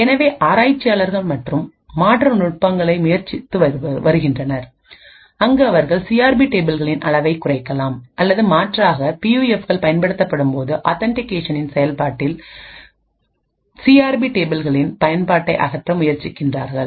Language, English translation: Tamil, So researchers have been trying several alternate techniques where they could either reduce the size of the CRP tables or alternatively try to eliminate the use of CRP tables in the authentication process when PUFs are used